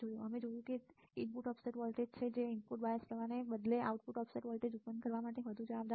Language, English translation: Gujarati, We have seen that that it is the input offset voltage which is more responsible for producing the output offset voltage rather than the input bias current right